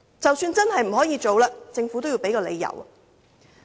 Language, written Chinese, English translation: Cantonese, 即使真的不可行，政府也應該提出理由。, Even if the Government does not find this proposal feasible it should tell us the reasons